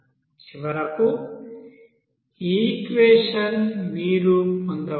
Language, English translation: Telugu, So finally, this equation you can get